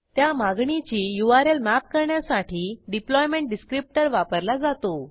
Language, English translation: Marathi, It uses deployment descriptor to map the URL of the request